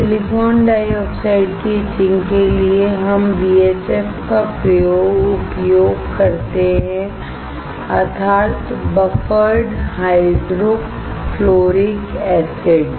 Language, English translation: Hindi, To etch silicon dioxide, we use BHF, that is, Buffered Hydrofluoric acid